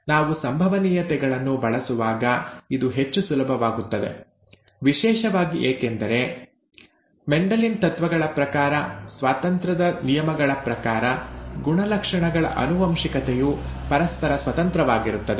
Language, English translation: Kannada, It becomes much easier when we use probabilities, especially because, according to Mendelian principles, the inheritance of characters are independent of each other, okay, law of independence